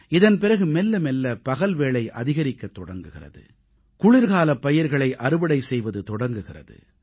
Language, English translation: Tamil, It is during this period that days begin to lengthen and the winter harvesting of our crops begins